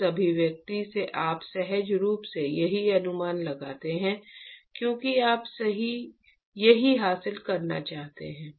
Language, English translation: Hindi, From this expression that is what you intuitively guess because that is what you want to achieve